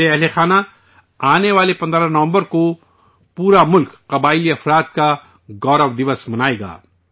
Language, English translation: Urdu, My family members, the entire country will celebrate the 'Janjaatiya Gaurav Diwas' on the 15th of November